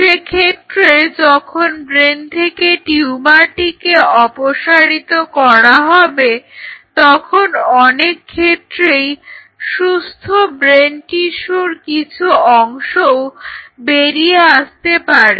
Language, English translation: Bengali, So, when they remove the tumor from human brain one of the thing which happens is that a part of the good brain tissue kind of is being also lost